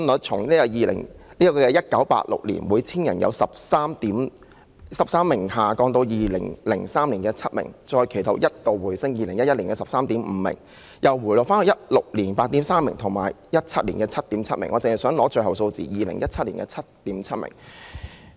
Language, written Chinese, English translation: Cantonese, 本地出生率由1986年的每 1,000 人有13名嬰兒，下降至2003年的7名，其後一度回升至2011年的 13.5 名，至2016年又回落到 8.3 名，以及2017年的 7.7 名。, While the local birth rate has dropped from 13 babies per 1 000 persons in 1986 to 7 babies per 1 000 persons in 2003 the figure once rose back to 13.5 babies in 2011 but dropped again to 8.3 babies in 2016 and further to 7.7 babies in 2017